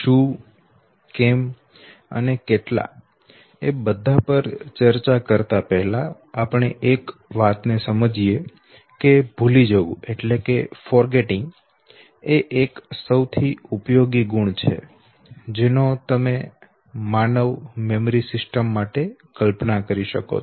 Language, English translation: Gujarati, But before we come to what and why, and how much let us understand one thing and except one thing that forgetting is one of the most useful attributes that you can visualize for human memory system